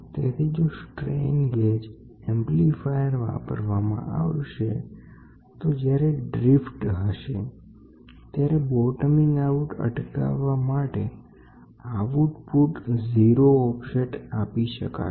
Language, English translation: Gujarati, So, if the strain gauge amplifier is used is used, the output may be given a 0 offset to prevent it bottoming out if there is a drift